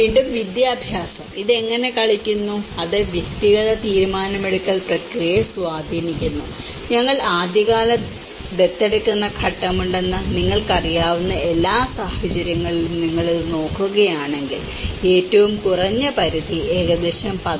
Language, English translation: Malayalam, And again, education; how it plays and it influences the individual decision making process and if you look at it in all the cases you know like we have the early adopter stage, the lowest threshold is about 11